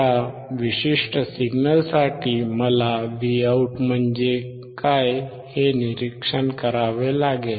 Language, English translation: Marathi, For this particular signal, I have to observe what is Vout